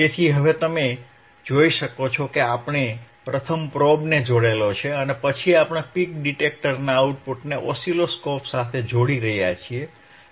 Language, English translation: Gujarati, So, now, you can see you can see right that now wwe arehave connected the probe first probe 1, and then we are connecting the output of the peak detector, output of the peak detector to the oscilloscope